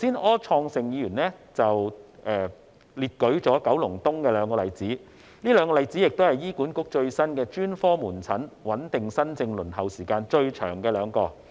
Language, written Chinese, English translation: Cantonese, 柯創盛議員剛才舉了九龍東的兩個例子，這兩個例子亦是醫院管理局最新的專科門診穩定新症輪候時間最長的兩宗個案。, Mr Wilson OR cited two examples of the longest waiting time for stable new case booking at specialist outpatient clinics in Kowloon East under the Hospital Authority HA